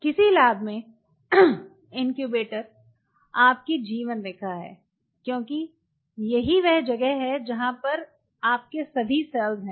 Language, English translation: Hindi, Incubator is your life line in a lab because that is where all your cells are